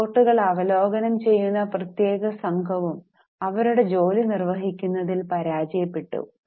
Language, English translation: Malayalam, Now, special team of reviewing the reports also failed to perform their job